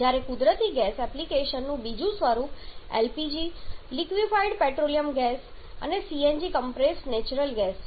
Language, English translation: Gujarati, Whereas the other form of natural gas application is in the form of LPG liquefied petroleum gas CNG is compressed natural gas